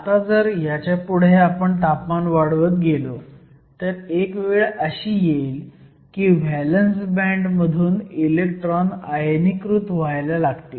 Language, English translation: Marathi, Now if you keep increasing temperature further, there is going to come a point when electrons are starting to get ionized from the valence band